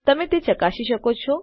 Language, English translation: Gujarati, You can check it out